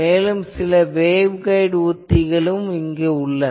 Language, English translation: Tamil, There are also other techniques some waveguide techniques etc